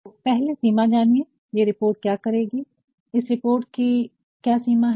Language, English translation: Hindi, So, first know the scope, what will this report do, what is the extent of this report